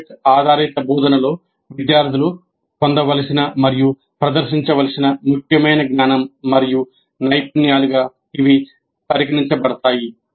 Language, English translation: Telugu, These are considered important knowledge and skills to be acquired and demonstrated by students in project based instruction